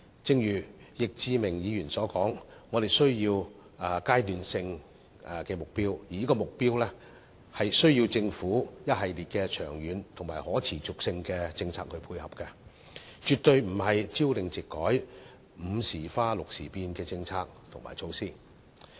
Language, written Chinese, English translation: Cantonese, 正如易志明議員所說，我們需要階段性的目標，而這些目標需要政府一系列長遠及可持續的政策配合，絕對不應是朝令夕改、"午時花六時變"的政策和措施。, As Mr Frankie YICK says we need phased targets and these targets need to be coupled with a series of long - term and sustainable policies from the Government and these policies or measures definitely should not change frequently and capriciously